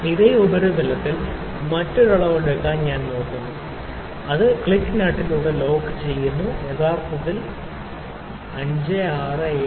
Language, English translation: Malayalam, Let me take another reading on the same surface here, with one click locking the nut taking this out in this we have 20s it is actually 5 6 7 7